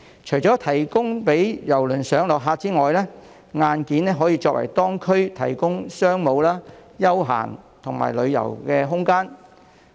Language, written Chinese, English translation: Cantonese, 除了提供郵輪上落客區之外，硬件還可為當區提供商務、休閒及旅遊空間。, Apart from providing areas for the embarkation and disembarkation of cruise passengers the hardware can also provide space for business leisure and tourism purposes in the district